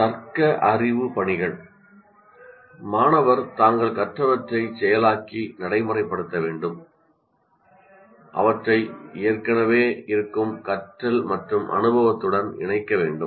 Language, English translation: Tamil, Here the student must process and apply what they have learned, linking it with the existing learning and experience